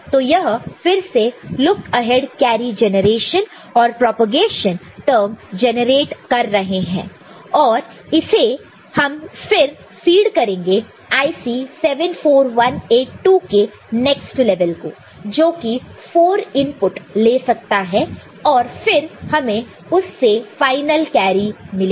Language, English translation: Hindi, So, they are again generating this look ahead carry generation and propagation term out of them because the circuit dissimilar, right and then this will be again fed to next level of IC 74182 which has got which can take four inputs, and then we can get the final carry out of it